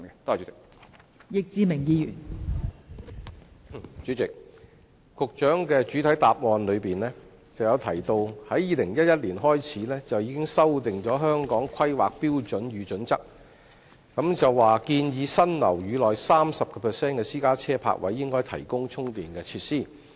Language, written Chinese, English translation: Cantonese, 代理主席，局長在主體答覆中提到 ，2011 年已經修訂《香港規劃標準與準則》，建議新建樓宇內 30% 的私家車泊位應提供充電設施。, Deputy President the Secretary mentioned in the main reply that the Hong Kong Planning Standards and Guidelines was amended in 2011 to recommend 30 % of private parking spaces in new buildings to be installed with charging facilities